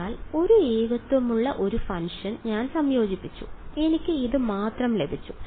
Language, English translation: Malayalam, So, I integrated a function which had a singularity and what did I get I got only this guy